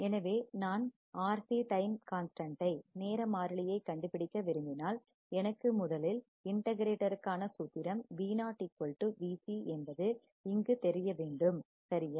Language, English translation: Tamil, So, if I want to find the R C time constant, first I know that my formula for integrator is Vo equals to V c right here